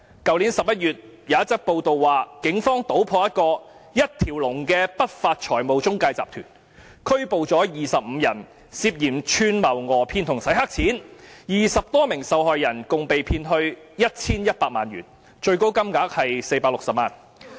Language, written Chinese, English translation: Cantonese, 去年11月，有一則報道指出，警方搗破一個一條龍的不法財務中介集團，拘捕了25人，涉嫌串謀訛騙和"洗黑錢 "，20 多名受害人共被騙去 1,100 萬元，最高金額是460萬元。, It was reported last November that the Police cracked a one - stop unscrupulous syndicate of financial intermediaries and arrested 25 people for alleged conspiracy to defraud and money laundering . Some 20 victims were defrauded of 11 million in total with the worst case involving a sum of 4.6 million